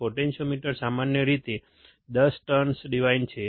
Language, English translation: Gujarati, Potentiometer is usually 10 turn device